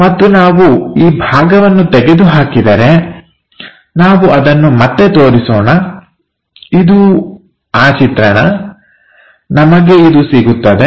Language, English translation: Kannada, And if we are erasing this part, so let us re show that this is the view what we supposed to get ok